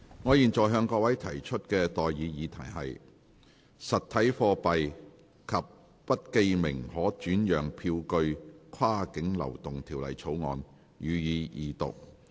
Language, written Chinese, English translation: Cantonese, 我現在向各位提出的待議議題是：《實體貨幣及不記名可轉讓票據跨境流動條例草案》，予以二讀。, I now propose the question to you and that is That the Cross - boundary Movement of Physical Currency and Bearer Negotiable Instruments Bill be read the Second time